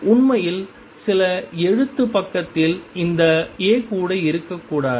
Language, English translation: Tamil, In fact, in some writing side even this A should not be there